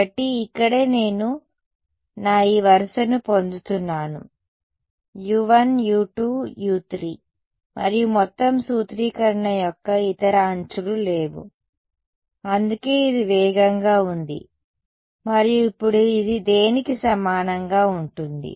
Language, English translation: Telugu, So, this is where I am getting my this row will only involve U 1,U 2,U 3 and no other edges of the entire formulation that is why it is fast right and now this is going to be equal to what